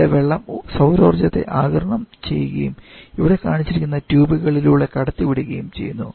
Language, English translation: Malayalam, Where the water is absorbing the solar energy and that is circulating through the tubes that are shown here